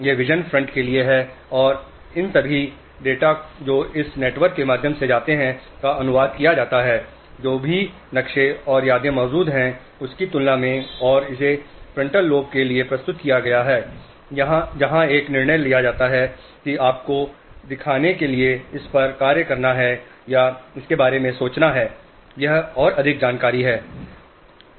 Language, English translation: Hindi, And all this data which goes in through these networks is translated compared with whatever maps and memories are existing and is presented to the frontal lobe where a decision is taken whether to act on it or to think about it and just to show you in more details